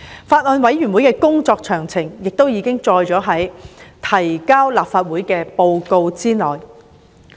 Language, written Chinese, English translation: Cantonese, 法案委員會的工作詳情亦已載於提交立法會的報告內。, Details of the deliberation of the Bills Committee are set out in the report submitted to the Legislative Council